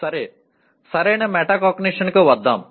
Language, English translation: Telugu, Okay, let us come to proper metacognition